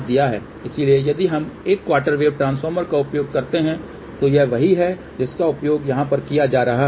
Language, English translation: Hindi, So, if we use one quarter wave transformer, so this is what is being used over here